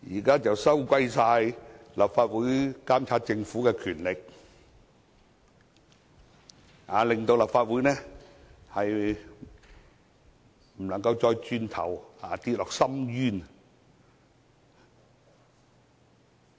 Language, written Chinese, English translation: Cantonese, 他們說現在立法會監察政府的權力被收回，令立法會無法走回頭，墮入深淵。, They said that given the present revocation of the Councils power to monitor the Government the Council will plunge into an abyss as it is unable to retreat from the path